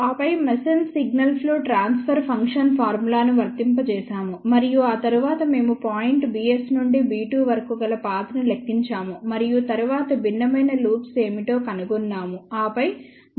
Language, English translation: Telugu, And then applied the masons signal flow transfer function formula and after that we calculated path from point b s to b 2 and then we found out what are the different loops and then we found out overall b t2 by b s